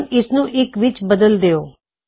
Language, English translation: Punjabi, Lets change this to 1